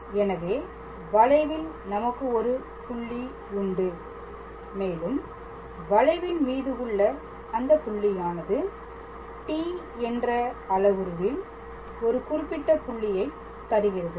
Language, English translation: Tamil, So, we must have a point on that curve and that point on the curve is obtained for a certain value of the parameter t